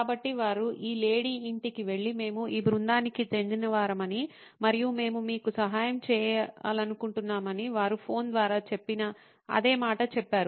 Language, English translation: Telugu, So, they went to this lady’s home and said the same thing they said over phone saying that we are from this team and we would like to help you